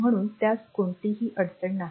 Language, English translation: Marathi, So, there is no problem and